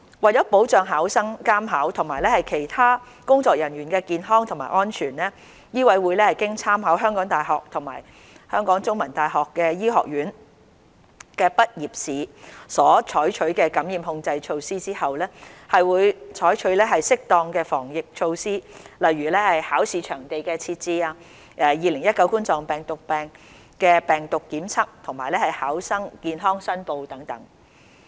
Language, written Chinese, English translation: Cantonese, 為保障考生、監考及其他工作人員的健康及安全，醫委會經參考香港大學及香港中文大學醫科畢業試所採取的感染控制措施後，會採取適當的防疫措施，例如考試場地的設置、2019冠狀病毒病病毒檢測及考生健康申報等。, To safeguard the health and safety of candidates invigilators and other staff with reference to the infection control measures adopted for the medical graduation examinations of the University of Hong Kong and The Chinese University of Hong Kong MCHK will take appropriate preventive measures such as the setting up of examination venues COVID - 19 testing and health declaration by candidates etc